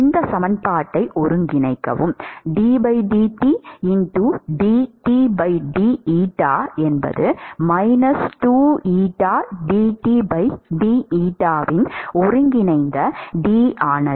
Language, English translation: Tamil, And integrate this equation, integral d of dT by d eta